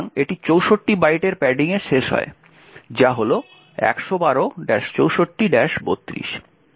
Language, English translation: Bengali, So that ends up in 64 bytes of padding which is 112 minus 64 minus 32